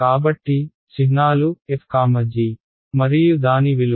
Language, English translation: Telugu, So, the symbols is f comma g and its value is given by